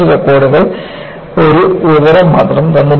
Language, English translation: Malayalam, And, this test records, only one information